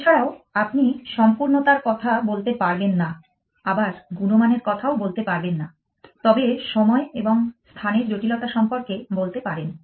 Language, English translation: Bengali, Also, you cannot even talk of completeness, so you cannot even talk of quality again, but time and space complexity